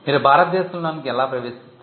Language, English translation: Telugu, How do you enter India